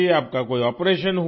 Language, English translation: Hindi, Have you had any operation